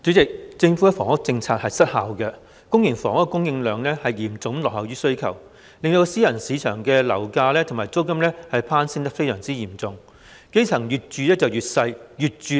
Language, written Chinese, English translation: Cantonese, 主席，政府的房屋政策失效，公營房屋的供應量嚴重落後於需求，令私人市場的樓價和租金大幅攀升，基層市民則越住越小、越住越貴。, President the Governments ineffective housing policy has rendered the supply of public housing seriously lagging behind the demand thereby leading to the surge in property prices and rents in the private market . The dwellings of the grass roots are getting more and more expensive but smaller and smaller